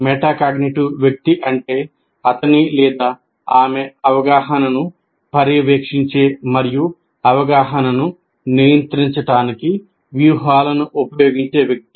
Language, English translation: Telugu, Metacognitive person is someone who monitors his or her understanding and uses strategies to regulate understanding